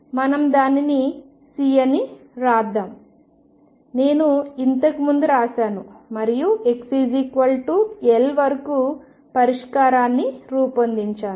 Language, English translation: Telugu, So, let us write it C, I wrote one earlier and build up the solution up to x equals L